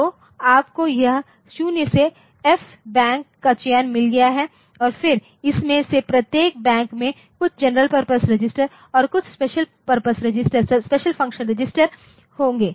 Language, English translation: Hindi, So, you have got this 0 to F Bank select and then each of this Banks it will have some general purpose registers and some special function registers